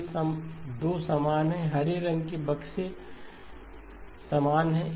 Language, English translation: Hindi, These 2 are the same, the green boxes are the same